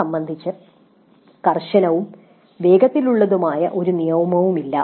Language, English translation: Malayalam, There is no hard and fast rule regarding it